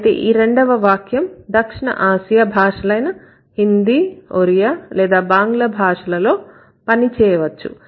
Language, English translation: Telugu, But that might work for a South Asian language like Hindi or Rodea or Bangla